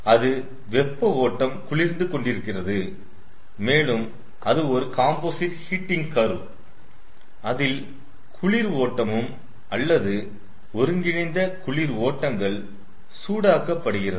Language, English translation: Tamil, one composite cooling curve, that is, the hot stream is getting cool and one composite heating curve that the cold streams are, or the combined cold streams are getting heated